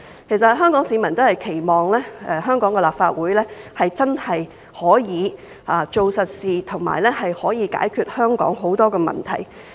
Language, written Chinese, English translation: Cantonese, 其實，香港市民都期望香港的立法會真的可以做實事，解決香港很多的問題。, In fact the people of Hong Kong invariably hope that the Hong Kong Legislative Council can really do something concrete to resolve the various problems of Hong Kong